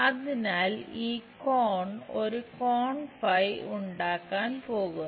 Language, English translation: Malayalam, So, that this angle is going to make phi angle